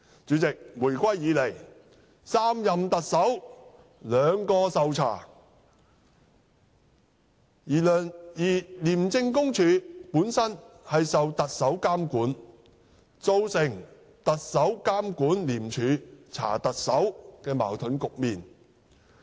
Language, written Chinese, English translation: Cantonese, 主席，回歸以來3任的特首中兩人受調查，而廉署本身受特首監管，造成"特首監管廉署查特首"的矛盾局面。, President two of the three Chief Executives since the reunification have been subjected to investigation and as ICAC is subject to monitoring by the Chief Executive a paradox arises with the Chief Executive overseeing ICACs investigation into the Chief Executive